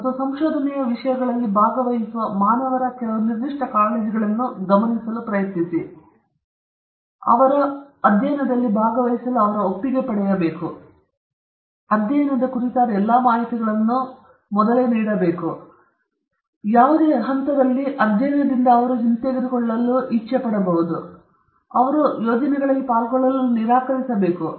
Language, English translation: Kannada, And when you try to address some of the specific concerns like human participants as subjects in research, as I mentioned, some important principles are: consent to participate in the study; for that you know all information about the study, whatever is available should be given to the participants; withdraw from the study at any stage of the study and or refuse to take part in research projects